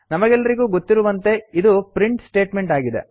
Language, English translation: Kannada, As we know this is a print statement